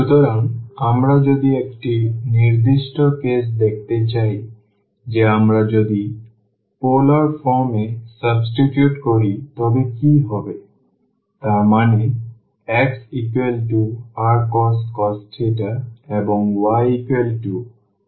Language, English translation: Bengali, So, if we want to see a particular case that what will happen if we substitute into the polar form; that means, x is equal to r cos theta and y is equal to r sin theta